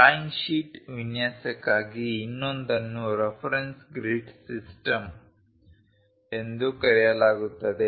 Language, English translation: Kannada, The other one for a drawing sheet layout is called reference grid system